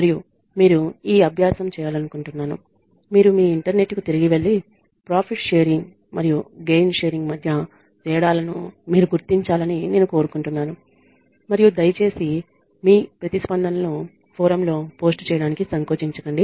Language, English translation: Telugu, And I would like you to do this exercise I want you to go back to your internet and I want you to figure out the differences between profit sharing and gain sharing and please feel free to post your responses on the forum